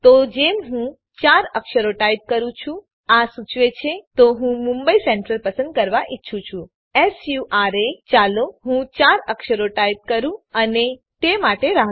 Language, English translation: Gujarati, So the moment i type 4 characters it suggest so i want to choose mumbai central SURA let me type 4 characters and wait for it